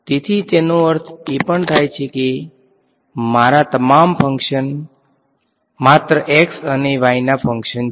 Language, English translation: Gujarati, So, it also means that all my functions all my fields are functions of only x and y right so ok